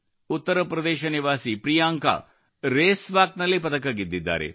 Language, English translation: Kannada, Priyanka, a resident of UP, has won a medal in Race Walk